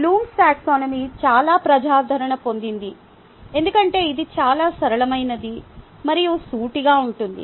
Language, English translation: Telugu, although there are other taxonomy is available, blooms taxonomy gets popularity because its very simple and straightforward